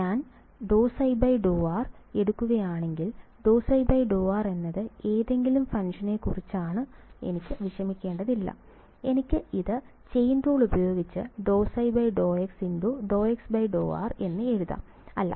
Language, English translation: Malayalam, So, if I take d psi by d r that is what I want to worry about d psi by d r psi is any function, I can write it by chain rule as d psi by d x d x by d r right